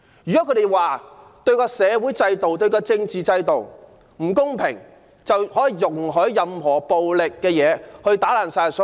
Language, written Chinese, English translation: Cantonese, 難道社會和政治制度不公，便可容許以暴力行為肆意破壞嗎？, Should unfair social and political systems be used as the excuse for wanton and violent vandalism?